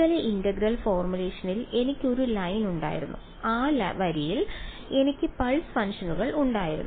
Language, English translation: Malayalam, In the surface integral formulation I had a line and I had pulse functions on that line